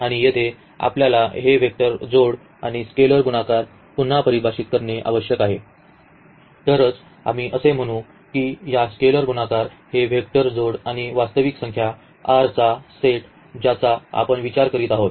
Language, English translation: Marathi, And, here we need to define again this vector addition and scalar multiplication then only we will say that this is a vector space with respect to this scalar multiplication, this vector addition and this set of real number R which we are considering